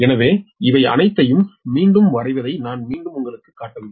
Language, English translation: Tamil, so alignment, i am not showing you again redrawing all these